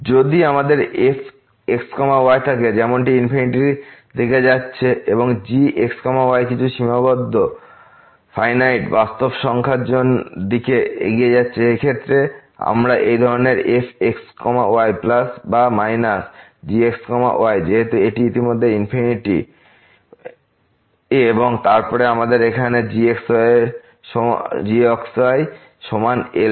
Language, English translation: Bengali, If we have as is going to infinity and is approaching to some finite real number, in this case we can evaluate such limits plus or minus , since this is infinity already and then we have here is equal to